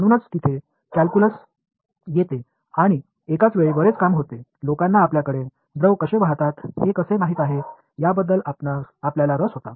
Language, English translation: Marathi, So, that is where calculus comes in and simultaneously a lot of work was a lot of people were interested in how do fluids flow you know whether